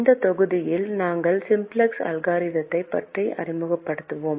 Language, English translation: Tamil, in this module we will be introducing the simplex algorithm